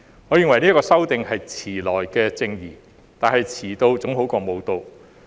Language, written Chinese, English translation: Cantonese, 我認為這次修訂是遲來的正義，但遲到總比不到好。, I hold that this amendment is a case of belated justice but it is better late than never